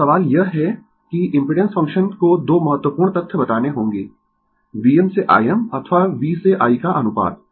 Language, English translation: Hindi, Now, question is that impedance function must tell 2 important fact; the ratio of V m to I m or V to I